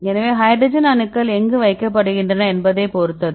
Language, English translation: Tamil, So, it depends upon where the hydrogen atoms are placed